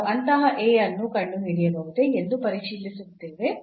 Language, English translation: Kannada, So, we will check whether we can find such a A